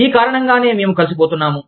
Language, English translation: Telugu, This is why, we are getting together